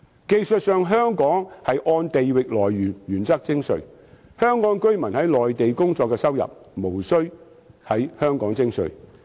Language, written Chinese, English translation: Cantonese, 技術上，香港按地域來源的原則徵稅，香港居民在內地工作的收入無須在香港徵稅。, Technically Hong Kong adopts a territorial source principle of taxation . The income of a Hong Kong resident working on the Mainland is not taxable in Hong Kong